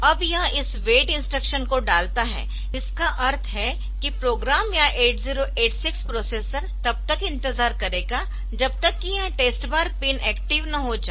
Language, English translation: Hindi, Now, it puts this wait instruction that means that the program or the 8086 processor will now wait till this test bar line becomes active ok